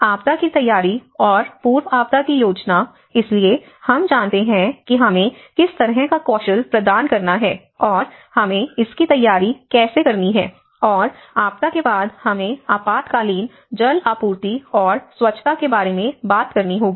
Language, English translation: Hindi, And the disaster preparedness and the pre disaster planning, so we talked about you know what kind of skills we have to impart and how we have to prepare for it and later on after the disaster, we have to talk about emergency water supply and sanitation